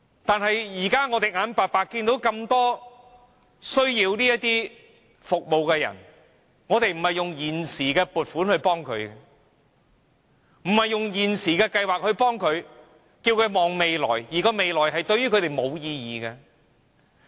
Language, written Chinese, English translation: Cantonese, 但是，現時有那麼多需要這些服務的人，政府卻不是用現時的撥款、現行的計劃來幫助他們，而是叫他們展望未來，但未來對他們並無意義。, Despite a heavy demand for these services the Government asks them to look to the future rather than using existing allocation and existing schemes to help them . The future is thus meaningless to them